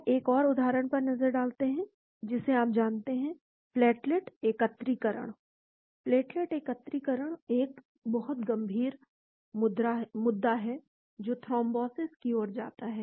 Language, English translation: Hindi, Now, let us look at another example you know, the platelet aggregation; platelet aggregation is a very serious issue which leads to thrombosis